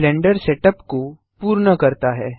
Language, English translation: Hindi, This completes the Blender Setup